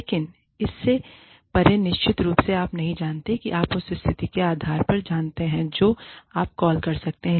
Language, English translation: Hindi, But, beyond that, of course, you do not know, you know, depending on the situation, you can take a call